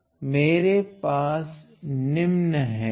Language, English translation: Hindi, So, I have the following